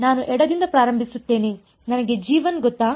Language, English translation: Kannada, I start from the left do I know g 1